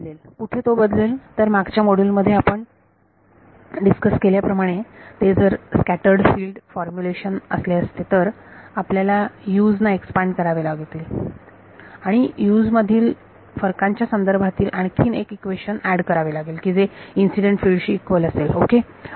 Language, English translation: Marathi, The b is where it will change if it were a scattered field formulation then as we discussed in the previous module, we may need to expand the number of Us and add one more equation corresponding to the difference of the Us being equal to incident field ok